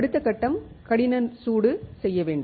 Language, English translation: Tamil, The next step is to do hard bake